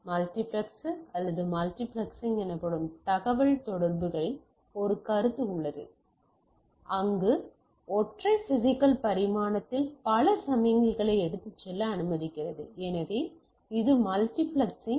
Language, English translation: Tamil, So, we have a there is a concept in the communication called multiplexer or multiplexing where a allows multiple signals to be carried across the single physical dimension so, that is the multiplexing